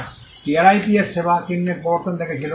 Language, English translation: Bengali, And the TRIPS also saw the introduction of service marks